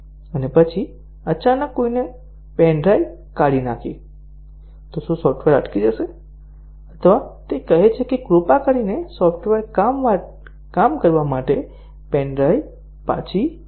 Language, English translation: Gujarati, And then, suddenly somebody removed the pen drive, so does the software hang or does it say that please put back the pen drive for the software to work